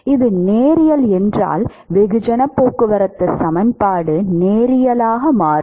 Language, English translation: Tamil, If it is linear then the mass transport equation will become linear all right